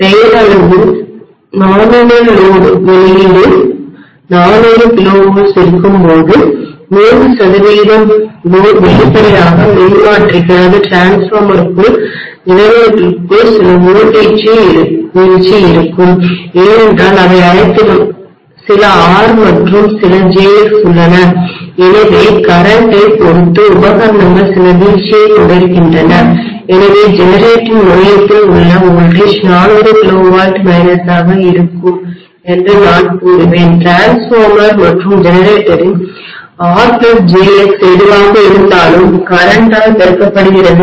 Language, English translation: Tamil, When am having 400 kilovolts at the output on a nominal load, say 100 percent load obviously there will be some internal drop within the transformer, within the generator because all of them are having some R and some jX, so depending upon the current that it is equipment are carrying going to have some drop, so I would say the voltage at the terminal of the generator will be 400 KV minus whatever is my R plus jX of the transformer and generator multiplied by the current